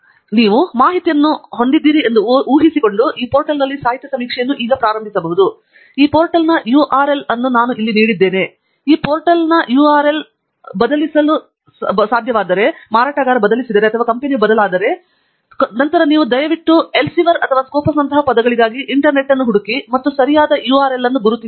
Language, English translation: Kannada, so, assuming that you have the tip information, then we can go on to now start the literature survey on this portal and and I have given the URL of this portal here and in case you are love, this portal happens to change because the vendor or the company has changed, then please do search the internet for the words like Elsevier and Scopus and identify the correct URL